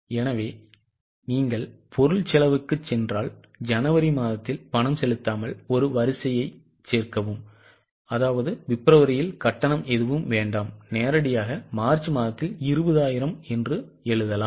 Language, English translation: Tamil, So, if you go for material cost, add a row there for material no payment in January no payment in February directly write 20,000 in the month of March